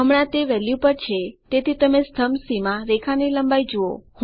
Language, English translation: Gujarati, Right now its at value so you see the length of the line in the column C